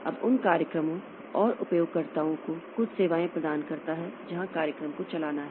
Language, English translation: Hindi, Now, provide certain services to programs and users of those programs like the program has to run